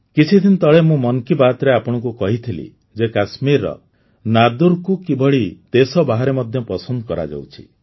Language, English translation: Odia, Some time ago I had told you in 'Mann Ki Baat' how 'Nadru' of Kashmir are being relished outside the country as well